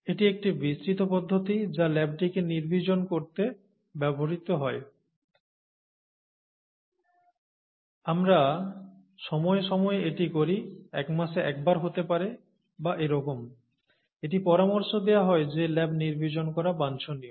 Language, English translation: Bengali, So it's an elaborate procedure that is used to sterilize the lab; we do it from time to time, may be once in a month or so, it is recommended that the lab is sterilized